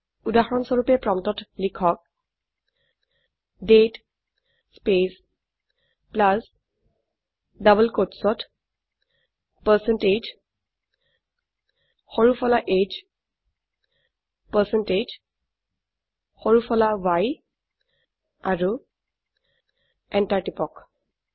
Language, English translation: Assamese, For example type at the prompt date space plus within double quotes percentage small h percentage small y and press enter